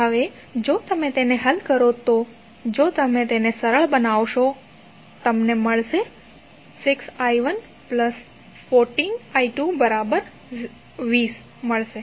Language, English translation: Gujarati, Now, if you solve it, if you simplify it you get 6i 1 plus 14i 2 is equal to 0